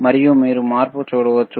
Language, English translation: Telugu, And you can see the change